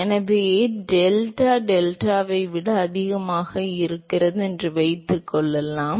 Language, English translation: Tamil, So, suppose if delta is greater than deltat